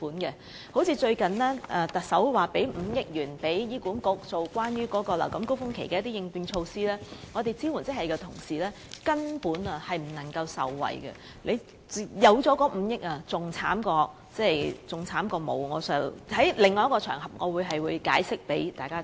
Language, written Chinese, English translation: Cantonese, 舉例而言，最近特首向醫管局撥款5億元，以推出流感高峰期的應變措施，但支援職系人員根本無法受惠，情況較沒有這5億元的撥款還要差，我會另覓場合向大家解釋原因。, To illustrate the point a provision of 500 million recently made by the Chief Executive to HA for introducing contingency measures at the height of the influenza season not only failed to benefit support staff whatsoever but made the situation worse than before . I will find another occasion to explain that to Members